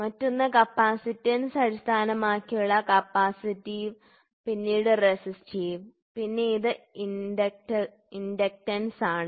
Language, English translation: Malayalam, So, the other one is going to be capacitance base capacitive, then it is resistive then it is inductance